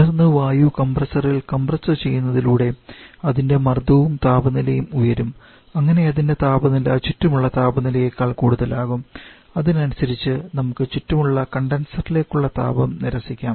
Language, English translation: Malayalam, And subsequently compress the air in the compressor so that its pressure and subsequently the temperature level rises so that its temperature becomes higher than the surrounding temperature and accordingly we can reject the heat to the surrounding the condenser